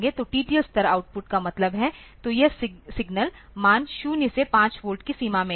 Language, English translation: Hindi, So, TTL level output means; so, this signal values are in the range of 0 to 5 volt